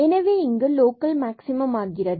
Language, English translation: Tamil, So, this is a local minimum